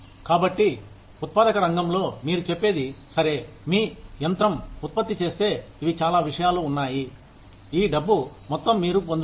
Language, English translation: Telugu, So, in the manufacturing sector, you will say, okay, if your machine produces, these many things, this is the amount of money, you will get